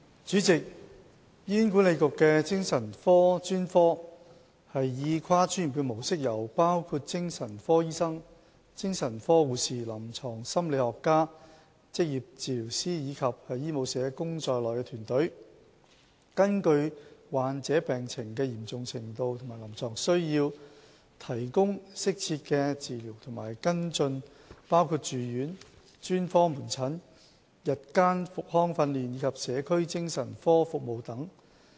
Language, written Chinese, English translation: Cantonese, 主席，醫院管理局的精神科專科以跨專業的模式，由包括精神科醫生、精神科護士、臨床心理學家、職業治療師，以及醫務社工在內的團隊，根據患者病情的嚴重程度及臨床需要，提供適切的治療和跟進，包括住院、專科門診、日間復康訓練及社區精神科服務等。, President the Hospital Authority HA adopts a multi - disciplinary approach in its provision of psychiatric specialist services . Medical teams comprising psychiatric doctors psychiatric nurses clinical psychologists occupational therapists Medical Social Workers etc provide patients according to their conditions and clinical needs with the appropriate treatment and follow - up care including inpatient specialist outpatient SOP daytime rehabilitative training and community support services